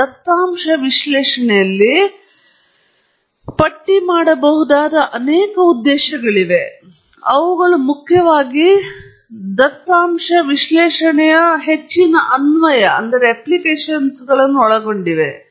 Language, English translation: Kannada, And there are several purposes that one can list in data analysis, but these primarily cover most of the applications of data analysis